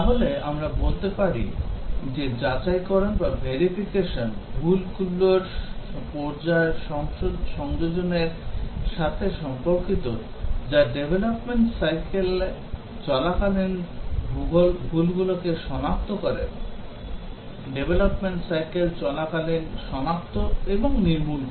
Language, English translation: Bengali, So, we can say that verification is concerned with phase containment of errors that is as the errors are getting detected during the development cycles, during the development cycle whether it is getting detected and eliminated